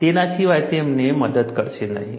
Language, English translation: Gujarati, Beyond that, they are not going to help you